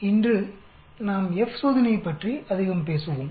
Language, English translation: Tamil, Today we will talk more about the F test